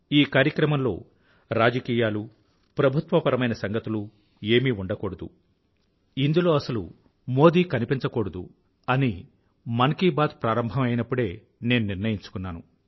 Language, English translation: Telugu, When 'Mann Ki Baat' commenced, I had firmly decided that it would carry nothing political, or any praise for the Government, nor Modi for that matter anywhere